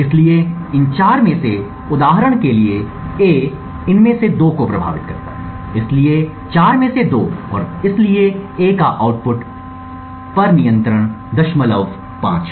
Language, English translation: Hindi, So out of these four, for instance A affects two of these, so two out of four and therefore A has a control of 0